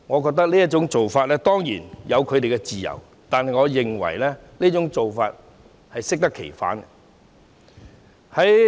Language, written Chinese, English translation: Cantonese, 他們當然有自由這樣做，但我認為這種做法是適得其反的。, They surely have the freedom to do so but I think this approach will only produce the opposite result